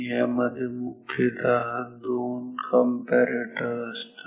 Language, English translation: Marathi, This is made up of mainly two comparators